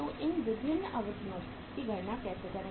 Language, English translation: Hindi, So how to calculate these periods how to calculate these durations